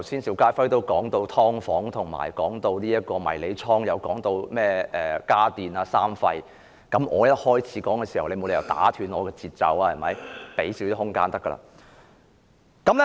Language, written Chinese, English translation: Cantonese, 邵家輝議員剛才提到"劏房"、迷你倉，他更提到"家電三廢"等，而我只是剛開始發言，你沒理由打斷我的節奏吧？, Just now Mr SHIU Ka - fai mentioned subdivided units and mini - storages and he also talked about household appliances and the three types of industrial wastes and I have just begun my speech . There is no reason for you to disturb my flow right?